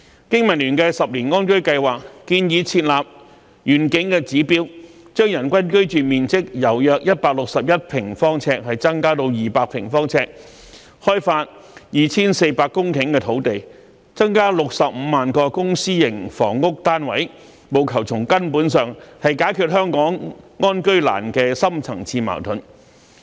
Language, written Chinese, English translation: Cantonese, 經民聯的十年安居計劃，建議設立願景的指標，將人均居住面積由約161平方呎增加至200平方呎，開發 2,400 公頃的土地，增加65萬個公私營房屋單位，務求從根本上解決香港安居難的深層次矛盾。, BPAs 10 - year housing plan proposes to formulate indicators for our vision such as increasing the per capita living space from 161 square feet sq ft to 200 sq ft developing 2 400 hectares of land and providing an additional 650 000 public and private housing units with a view to solving the deep - seated housing problem in Hong Kong at root